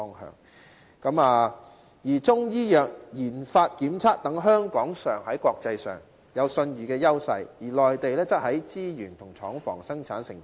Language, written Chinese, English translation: Cantonese, 香港在中醫藥研發檢測等方面，享有國際信譽優勢，而內地則有資源及廠房，可以生產製成品。, With regard to Chinese medicine Hong Kong enjoys world reputation in areas such as research development and testing whereas the Mainland is capable of producing products with the availability of resources and industrial plants